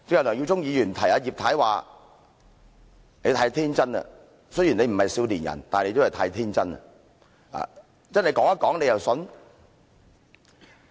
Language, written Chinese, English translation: Cantonese, 梁耀忠議員剛才提醒葉太，說她太天真了，雖然她不是少年人，但亦都太天真了。, Just now Mr LEUNG Yiu - chung reminded Mrs IP saying that she was too naïve and while she was not a youngster she was still too naïve